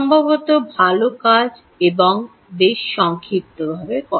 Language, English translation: Bengali, well done and quite concisely put